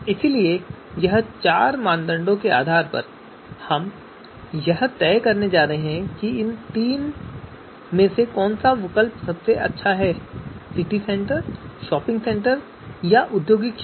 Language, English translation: Hindi, So depending on these four criteria, we are going to decide on which is going to be, which is the best alternative among these three, City Centre, shopping centre, industrial area